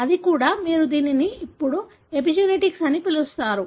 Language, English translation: Telugu, That is also, you call it as epigenetics now